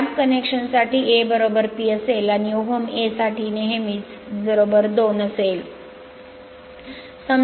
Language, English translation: Marathi, For lab connection A will be P; and for om A will be is equal to 2 always right